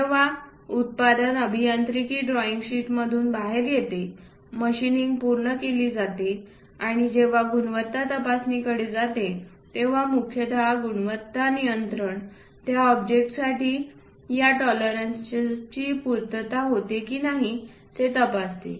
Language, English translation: Marathi, So, when machining is done and perhaps product comes out through this engineering drawing sheet, when it goes to quality check mainly quality control gas check whether this tolerances are met or not for that object